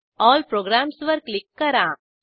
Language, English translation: Marathi, Click on All Programs